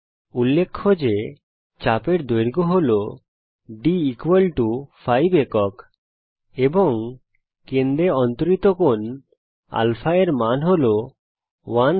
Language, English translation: Bengali, Notice that the arc length is d=5 units, and the value of α the angle subtended at the center is 1 rad